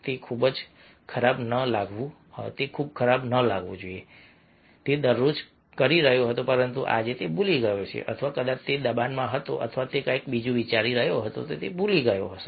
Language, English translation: Gujarati, it might be everyday he was doing, but today he has just forgotten, or might be that he was under pressure or he was, ah, thinking something else, just forgot